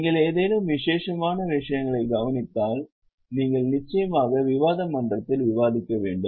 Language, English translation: Tamil, If you observe any special things you can of course discuss in the discussion forum